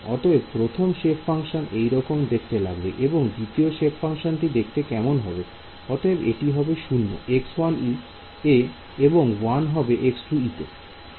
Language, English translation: Bengali, So, this is what the first shape function looks like what about the second shape function